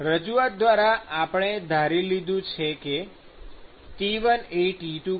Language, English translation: Gujarati, So, by representation, I have assumed that T1 is greater than T2